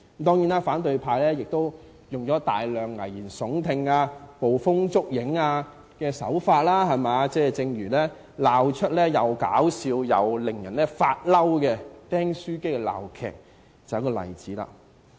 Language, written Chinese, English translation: Cantonese, 當然，反對派亦以大量危言聳聽、捕風捉影的手法，正如鬧出既可笑又令人發怒的"釘書機"鬧劇，就是一個例子。, The opposition camp uses many frightening words and groundless accusations against our country . One such example is the stapler farce which left us between laughter and tears